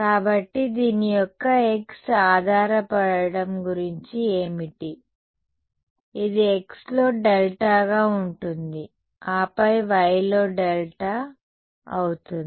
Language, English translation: Telugu, So, what about the x dependence of this, delta is going be a delta x then delta y